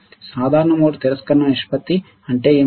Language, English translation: Telugu, What is common mode rejection ratio